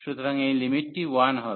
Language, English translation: Bengali, So, this limit will be coming as 1